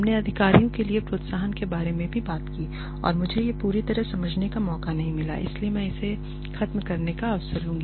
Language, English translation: Hindi, We also talked about incentives for executives and I did not have a chance to explain this fully to you so I will take this opportunity to finish this